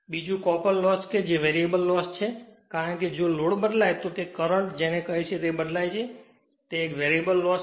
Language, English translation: Gujarati, Another is a copper loss it is a variable loss right because, if load changes, then your what you call that current changes so, it is a variable loss right